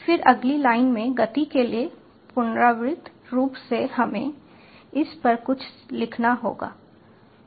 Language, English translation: Hindi, then in the next line for speed, iteratively, we have to write something on it